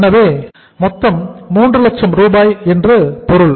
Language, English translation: Tamil, So it means total is the 3 lakh rupees